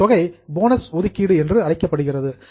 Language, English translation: Tamil, That is called as provision for bonus